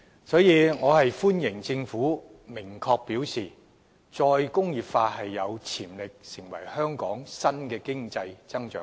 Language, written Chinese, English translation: Cantonese, 因此，我歡迎政府明確表示"再工業化有潛力成為香港新的經濟增長點"。, I therefore welcome the Governments specific remark that re - industrialization is a potential new area of economic growth for Hong Kong